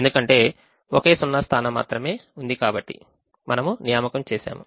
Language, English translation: Telugu, there is one zero here, so i will make an assignment